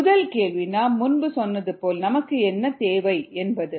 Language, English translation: Tamil, first question, as we said, was: what is needed